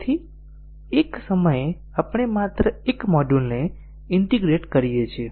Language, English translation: Gujarati, So at a time we integrate only one module